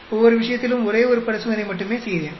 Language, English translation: Tamil, I did only one experiment in each case